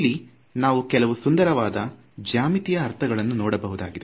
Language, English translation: Kannada, Now there are some very beautiful geometric meanings of what these quantities are